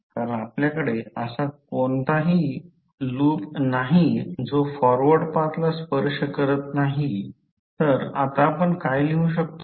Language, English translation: Marathi, Because, we do not have any loop which is not touching the forward path